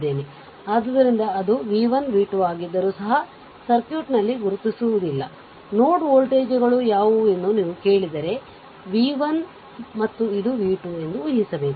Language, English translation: Kannada, So, so even if it is v 1 v 2 will not mark in the circuit, if you are ask that what are the node voltages, right